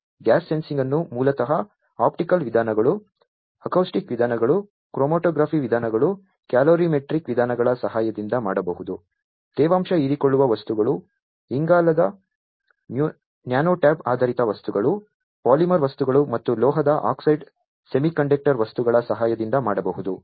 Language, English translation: Kannada, Gas sensing basically can be done with the help of optical methods, acoustic methods, chromatographic methods, calorimetric methods, can be done with moisture absorbing materials, carbon nanotube based materials, polymer materials, and metal oxide semiconductor materials